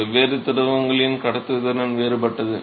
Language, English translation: Tamil, The conductivity of different fluids are different